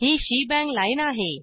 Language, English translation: Marathi, This is the shenbang line